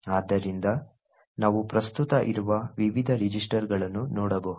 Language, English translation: Kannada, So we can look into the various registers which are present